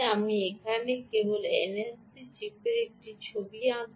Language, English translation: Bengali, i will just draw a picture of ah n f c chip here